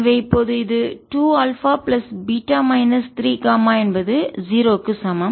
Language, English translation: Tamil, so this becomes two alpha plus beta minus three, gamma is equal to zero